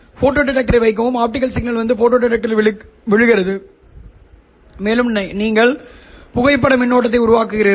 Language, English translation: Tamil, The optical signal comes and falls on the photo detector and you simply generate the photo current